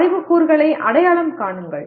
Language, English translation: Tamil, Just identify the knowledge elements